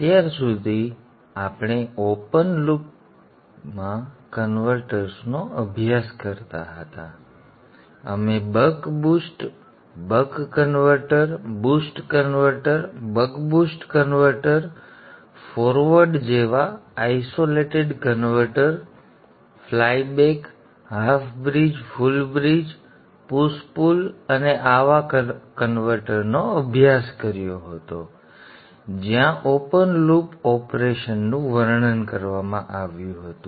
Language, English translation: Gujarati, Till now we have been studying converters in open loop we We studied the buck boost converter, the boost converter, the buck boost converter, isolated converters like the forward, flyback, the half bridge, full bridge, push pull and such converters where the open loop operation was described